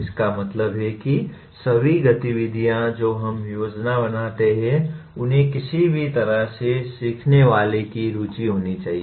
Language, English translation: Hindi, What it means is, all activities that we plan should somehow be of interest to the learner